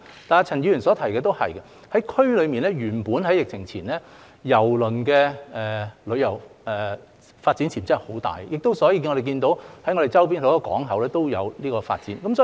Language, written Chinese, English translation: Cantonese, 但是，陳議員所提的也是對的，原本在疫情前，在區內，郵輪旅遊的發展潛質很大，所以我們看到周邊很多港口也有這方面的發展。, However Mr CHAN is also right in saying that before the pandemic there was originally very great potential for the development of cruise tourism in the region so we can see such developments in many neighbouring ports